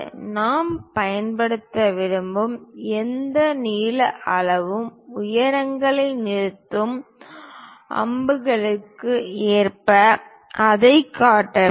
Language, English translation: Tamil, Any length scale which we would like to use we have to show it by line with arrows terminating heights